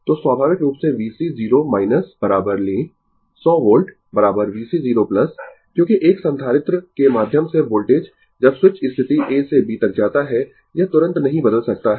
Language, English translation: Hindi, So, naturally V C 0 minus is equal to take 100 volt is equal to V C 0 plus because your voltage through a capacitor when switch move ah move from position A to B it cannot change instantaneously